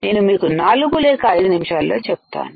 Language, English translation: Telugu, I will tell you in 4 to5 minutes